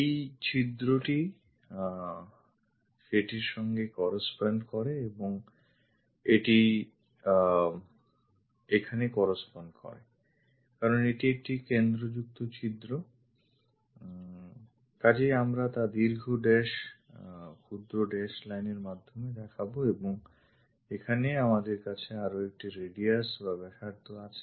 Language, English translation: Bengali, This hole corresponds to that and this one here because this is a hole and having a center, so we show by long dash short dash lines and here we have one more radius